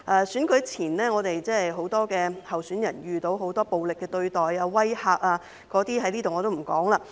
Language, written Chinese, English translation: Cantonese, 選舉前，很多候選人遇到很多暴力的對待和威嚇，我也不在此細說了。, Before the election many candidates encountered a lot of violence and intimidation but I will not go into the details here